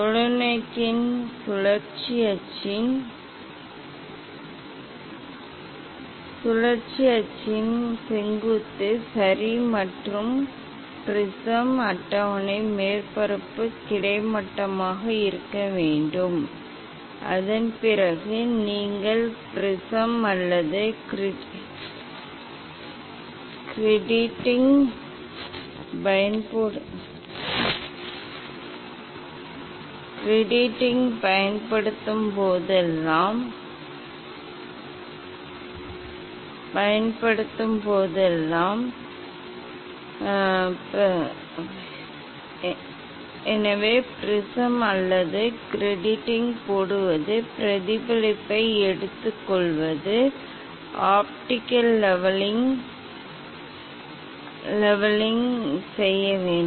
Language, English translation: Tamil, And axis of rotation of rotational axis of the telescope has to be vertical, ok and prism table surface has to be horizontal, After that whenever you will use the prism or grating, so putting the prism or grating, taking reflection one has to do optical leveling